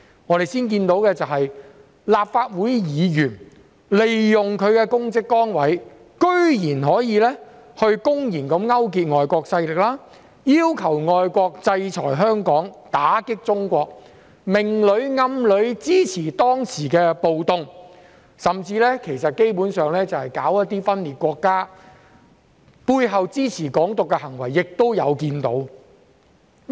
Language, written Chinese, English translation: Cantonese, 我們先看到的是，立法會議員居然利用其公職崗位公然勾結外國勢力，要求外國制裁香港，打擊中國，明裏暗裏支持當時的暴動，甚至基本上是分裂國家，背後支持"港獨"的行為也有看到。, What we saw first was that Members of the Legislative Council went so far as to use their public office and official positions to blatantly collude with foreign forces asking them to sanction Hong Kong and attack China and both explicitly and implicitly supporting the riots at that time . We have even seen acts that were basically secession and supportive of the Hong Kong independence behind the scenes